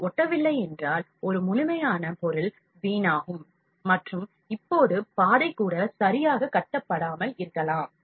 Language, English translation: Tamil, If it does not stick, then there is a complete wastage of the material and even the path now might not be built properly